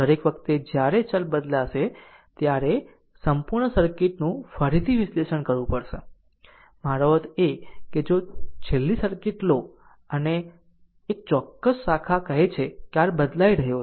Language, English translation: Gujarati, Each time the variable is change right, the entire circuit has to be analyzed again I mean if you take a last circuit and one particular branch say R is changing